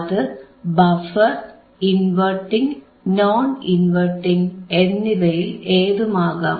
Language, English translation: Malayalam, It can be buffer, it can be inverting, it can be non inverting amplifier